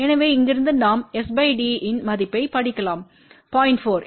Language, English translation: Tamil, So, from here we can read the value of s by t you can say it is 0